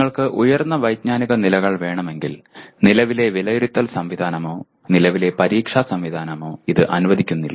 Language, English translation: Malayalam, If you want higher cognitive levels, the present assessment mechanism or the present examination system does not allow